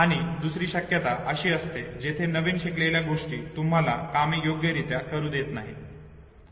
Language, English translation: Marathi, And other possibility where the newly learned thing it does not allow you know, to perform things appropriately